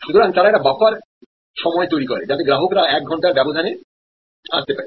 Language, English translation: Bengali, So, they create a buffer time zone, so that customer's can arrive over a span of one hour